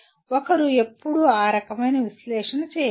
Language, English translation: Telugu, One can always do that kind of analysis